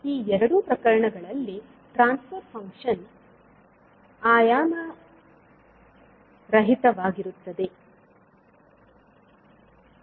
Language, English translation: Kannada, So, for these two cases the transfer function will be dimensionless